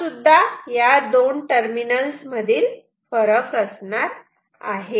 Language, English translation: Marathi, Also this is the difference between these two terminals ok